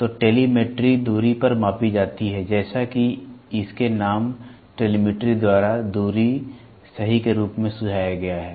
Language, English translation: Hindi, So, telemetry is measurement made at a distance as suggested by its name telemetry distance, right